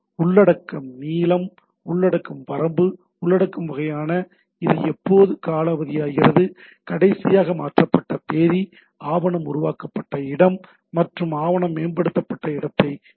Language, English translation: Tamil, So, that is content length, content range, content type, when it expires, last modified date, location specifies the location of the created or modified document